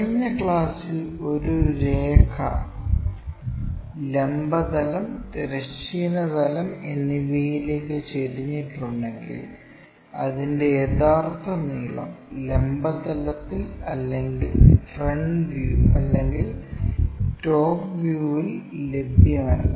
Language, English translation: Malayalam, In the last classes we have learnt, if a line is inclined to both vertical plane, horizontal plane, true length is neither available on vertical plane nor on a frontfront view or the top views